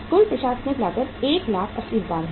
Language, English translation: Hindi, Total administrative cost is 1,80,000